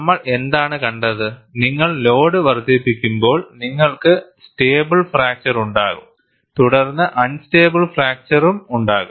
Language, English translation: Malayalam, What we have seen, when you increase the load you will have a stable fracture, followed by unstable fracture